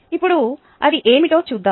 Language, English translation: Telugu, now let us see what it is